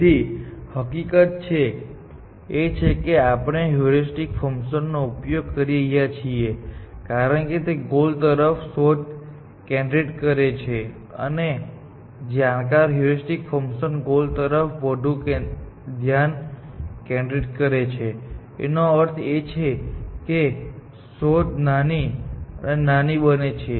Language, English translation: Gujarati, So, the fact that using a heuristic function actually, focuses a search towards the goal and more informed heuristic function is, the more it focuses towards a goal; which means, search becomes